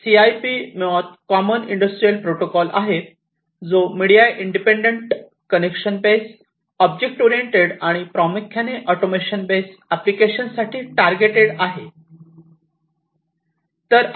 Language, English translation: Marathi, So, CIP basically is the Common Industrial Protocol, which is media independent, connection based, object oriented, and primarily targeted towards automation based applications